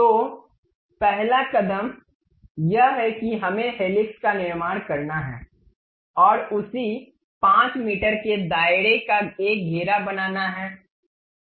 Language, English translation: Hindi, So, the first step is to construct helix we have to make a circle of same 5 meters radius